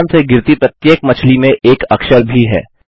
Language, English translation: Hindi, Fish fall from the sky.Each fish also has a letter on it